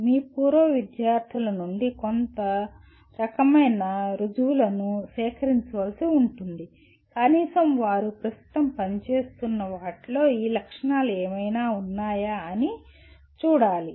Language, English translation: Telugu, Some kind of proof will have to be collected from your alumni to see that at least they are whatever they are presently working on has these features in it